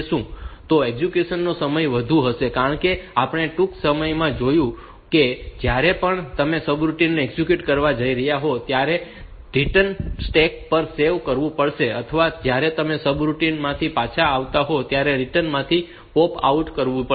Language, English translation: Gujarati, So, execution time will be more, because we will sees shortly that why whenever you are going to execute a subroutine the return address has to be saved on to the stack or when you are coming back from the subroutine